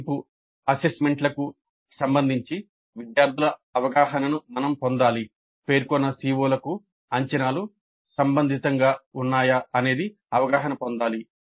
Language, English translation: Telugu, So, we should get the students perception regarding the assessments, whether the assessments were relevant to the stated COs